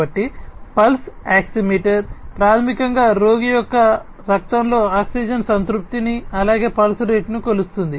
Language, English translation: Telugu, So, pulse oximeter, basically measures the oxygen saturation in the blood of the patient, as well as the pulse rate